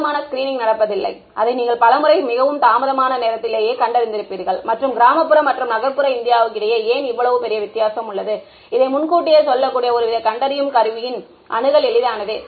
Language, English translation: Tamil, There is not enough screening that is happening and by the time you detect it many times it is too late right and why is there such a big difference between the rural and urban India is simply access and affordability of some kind of diagnostic tool that can tell catch this early on ok